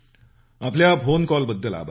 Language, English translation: Marathi, Thank you for your phone call